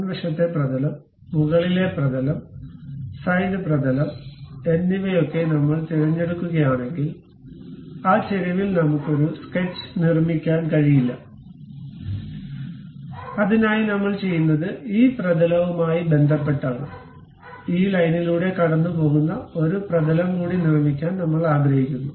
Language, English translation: Malayalam, If I pick any front plane, top plane, side plane whatever this, I cannot really construct any sketch on that incline; for that purpose what we are doing is with respect to this plane, I would like to construct one more plane, which is passing through this line